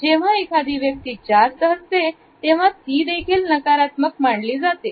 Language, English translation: Marathi, At the same time when a person smiles too much, it also is considered to be negative